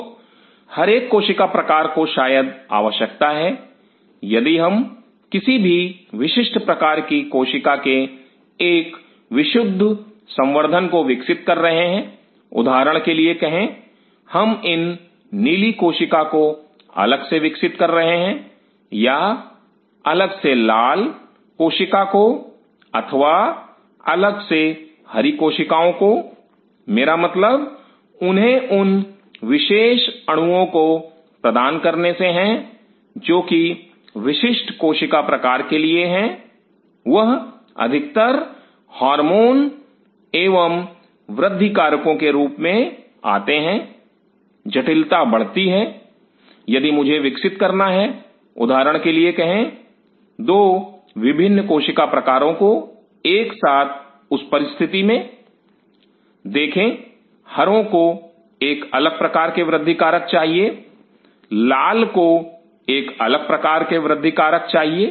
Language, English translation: Hindi, So, each cell type possibly needs if we are growing a pure culture of any specific cell type, say for example, I grow these blue cell as separately or the red cell as separately or the green cell as separately, I mean it to provide those specific molecules which are cell type is specific, they mostly come in the form of hormones and grow factors the complexity arises if I have to grow, say for example, 2 different cell types together under that situation see green needs a different kind if growth factor and red needs a different kind of growth factor